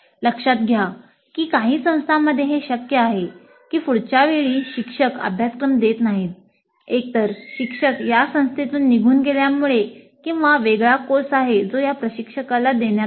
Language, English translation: Marathi, Now notice that in some of the institutes it is quite possible that the instructor may not be offering the course next time either because the instructor leaves this institute or there is a different course which is assigned to this instructor